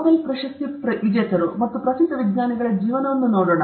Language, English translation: Kannada, Let us look at the lives of Nobel prize winners and famous scientists